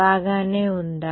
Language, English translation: Telugu, Is that fine